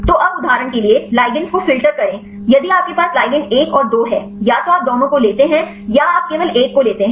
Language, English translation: Hindi, So, now the filter the ligands for example, if you have the ligands 1 and 2; either you take both or you take only one